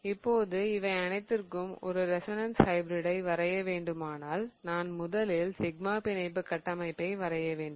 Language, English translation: Tamil, Now if I have to draw a resonance hybrid for all of these, what I have to think about is first I have to draw the sigma bond framework